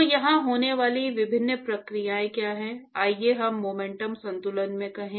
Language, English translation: Hindi, So, what are the different processes which are occurring here, let us say in momentum balance